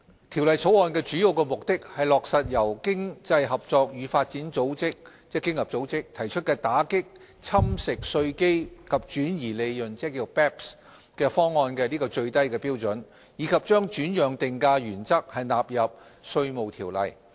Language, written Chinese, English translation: Cantonese, 《條例草案》的主要目的是落實由經濟合作與發展組織提出打擊"侵蝕稅基及轉移利潤"方案的最低標準，以及將轉讓定價原則納入《稅務條例》。, The main objectives of the Bill are to implement the minimum standards of the Base Erosion and Profit Shifting BEPS package promulgated by the Organisation for Economic Co - operation and Development OECD and codify the transfer pricing principles into the Inland Revenue Ordinance